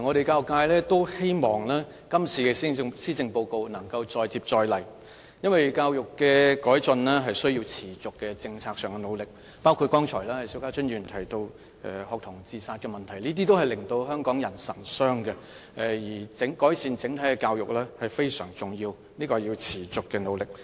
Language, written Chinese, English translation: Cantonese, 教育界希望這次施政報告能夠再接再厲，因為要改進教育是需要在政策上持續努力，包括邵家臻議員剛才提到的學童自殺問題，這些都是令香港人神傷的，而改善整體的教育非常重要，需要付出持續的努力。, The education sector hopes that the Policy Address can keep up the efforts because improvement to education provision must need sustained policy efforts . This is also the case with student suicide which Mr SHIU Ka - chun discussed just now and which really saddens the people of Hong Kong a great deal . Improvement to all segments of education provision is of extreme importance and this must need sustained efforts